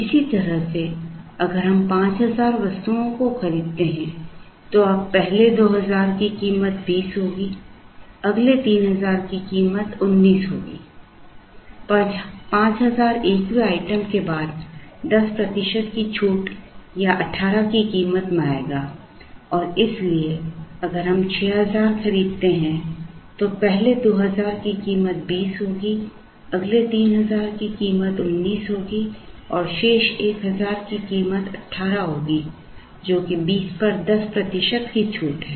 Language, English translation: Hindi, In a similar manner, if we buy 5000 items now the 1st 2000 will be priced at 20 the next 3000 will be priced at 19, the 10 percent discount or a price of 18 will come for the 5000 and 1st item onwards and therefore, if we buy 6000 then the 1st 2000 will be priced the 20, the next 3000 will be priced at nineteen and the remaining 1000 will be priced at 18, which is a 10 percent discount of 20